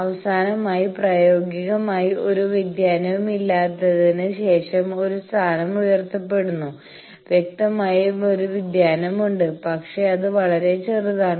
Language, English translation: Malayalam, Finally, a state is raised after that practically there is no variation; obviously, there is a variation, but that is so, small